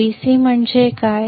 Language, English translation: Marathi, What is Vc